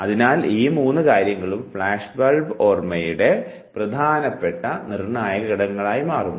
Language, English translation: Malayalam, So, these three things becomes major determinates for flashbulb memory